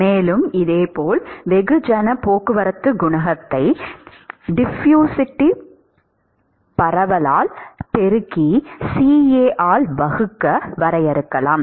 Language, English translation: Tamil, And similarly one could define mass transport coefficient as diffusivity multiplied by, divided by CA, ok